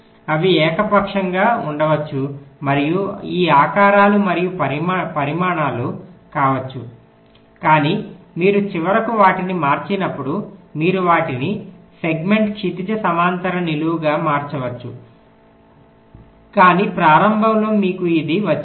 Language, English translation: Telugu, they can be of arbitrary and these shapes and sizes, but when you finally convert them, may be you can convert them into segment, horizontal, vertical later on, but initially you have got this